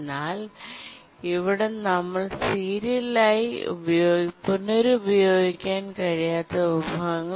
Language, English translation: Malayalam, But then now we are going to look at resources which are not serially reusable